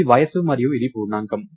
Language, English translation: Telugu, So, this is age and it is an integer